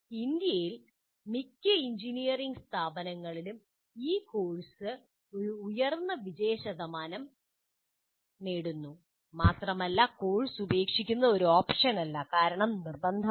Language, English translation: Malayalam, And in India, most engineering institutes achieve a high pass percentage in this course, and dropping out of the course is not an option because it's compulsory